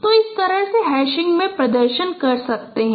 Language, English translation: Hindi, So in this way you can perform in a hashing